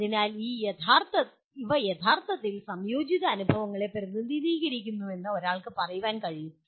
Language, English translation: Malayalam, So one can say these represent a truly integrated experiences